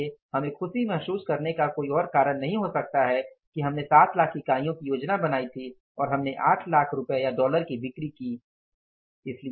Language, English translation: Hindi, So, there is no reason for us to feel happy that we had planned for 7 lakh units, we have performed 8 lakh units or maybe the 8 lakh worth of rupees or dollars of the sales